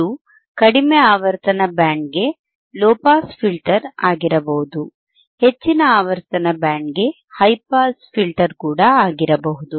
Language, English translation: Kannada, Iit can be low pass filter than for low frequency band, high pass filter for high frequency band